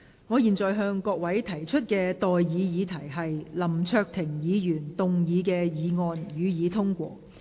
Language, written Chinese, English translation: Cantonese, 我現在向各位提出的待議議題是：林卓廷議員動議的議案，予以通過。, I now propose the question to you and that is That the motion moved by Mr LAM Cheuk - ting be passed